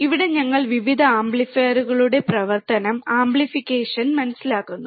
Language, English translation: Malayalam, here we will be understanding the various applications and operational of amplifiers